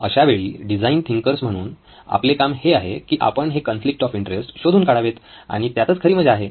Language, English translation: Marathi, So our job as design thinkers is to unearth these conflicts of interest and that’s where the interesting stuff is